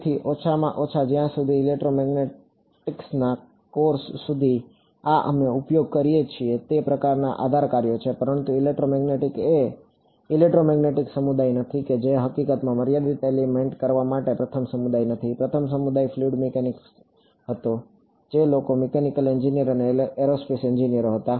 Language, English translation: Gujarati, So, at least as far as electromagnetics course these are the kinds of basis functions we use, but electromagnetics are not the electromagnetic community is not the first community to do finite element in fact, the first community were fluid mechanics people, mechanical engineer, aerospace engineers